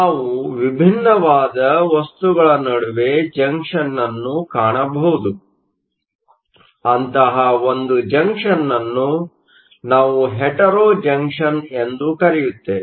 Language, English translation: Kannada, We can also have a junction found between different materials, in such a type of junction is called a Hetero junction